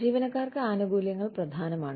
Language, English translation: Malayalam, Benefit issues are important to employees